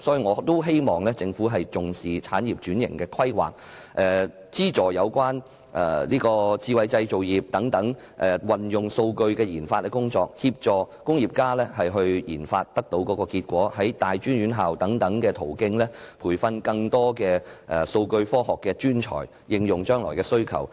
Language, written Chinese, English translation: Cantonese, 我希望政府重視產業轉型的規劃、資助有關智慧製造業運用數據的研發工作、協助工業家應用研發結果，以及透過大專院校等途徑培訓更多數據科學專才，以應付將來的需求。, I hope the Government will attach importance to the planning of industrial transformation subsidize the research and development of data usage by smart manufacturing industries assist industrialists in applying the research and development results and train more data science professionals through tertiary institutions and other means so as to meet future demands